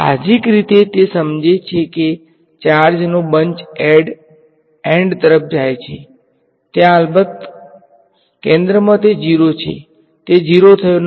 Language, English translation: Gujarati, Intuitively it makes sense the charge is tending to bunch of towards the end there is of course, at the centre it is not 0, it is not gone to 0